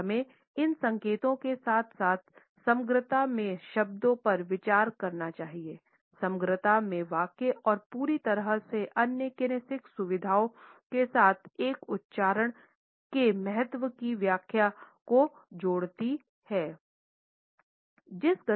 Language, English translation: Hindi, And we must consider these signals as well as the words in totality, the sentences in totality, and combine the interpretation with other kinesics features to fully interpret the significance of an utterance